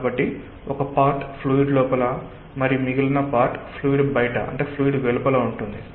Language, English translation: Telugu, so a part is within the fluid and the part is outside the fluid